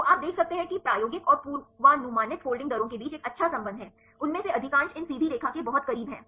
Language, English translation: Hindi, So, you can see there is a good correlation between the experimental and the predicted folding rates right most of them are very close to these straight line right this slope